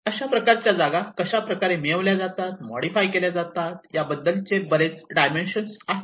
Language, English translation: Marathi, So there are many dimensions of how this place is conquered and how this place is modified